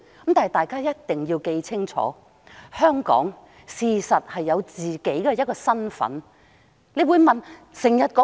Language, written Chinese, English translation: Cantonese, 不過，大家必須緊記，香港事實上是有自己的身份認同的。, But Members must bear in mind that Hong Kong actually has its own sense of identity